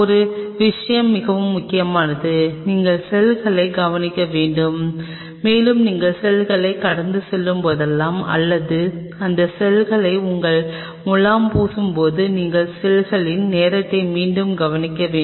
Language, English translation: Tamil, One thing is very critical you have to observe the cells and as your passaging the cell or your plating that cell you need to observe the cell time and again